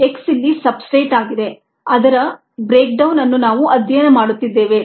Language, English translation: Kannada, x is the substrate here, the breakdown of which we are studying